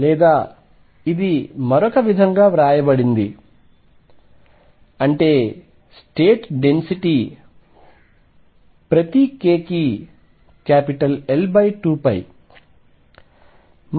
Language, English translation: Telugu, Or this is also written in another words is that the density of states is L over 2 pi per k